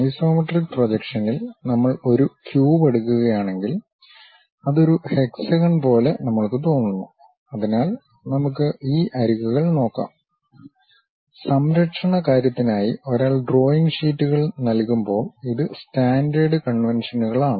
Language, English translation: Malayalam, If we are taking a cube in the isometric projection, we sense it like an hexagon; so, let us look at these edges; these are the standard conventions when one supplies drawing sheets for the protection thing